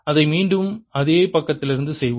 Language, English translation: Tamil, let's do it again from the same side